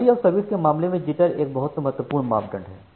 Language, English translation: Hindi, So but in respective of quality of service jitter is a very important parameter